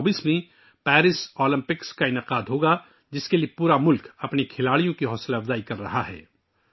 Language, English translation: Urdu, Now Paris Olympics will be held in 2024, for which the whole country is encouraging her players